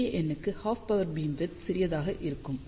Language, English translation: Tamil, Because, larger the array half power beamwidth will be small